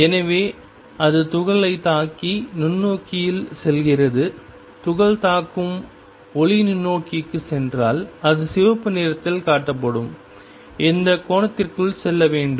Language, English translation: Tamil, So, that it hits the particle and goes into the microscope if the light hitting the particle goes into microscope it must go within this angle shown by red